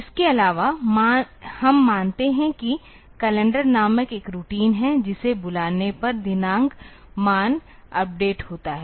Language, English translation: Hindi, Also we assume that there is a routine called calendar which when called updates the date value